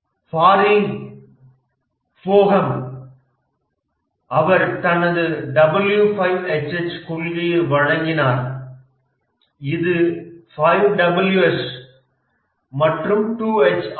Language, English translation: Tamil, Barry Bohem he gave his W5 H principle which is 5 W's and 2H